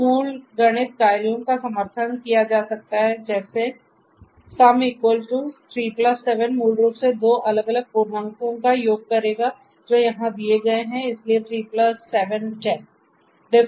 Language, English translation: Hindi, So, the basic math functions are supported sum equal to 3 +7 will basically do the sum of two different integers which are given over here so 3+7; 10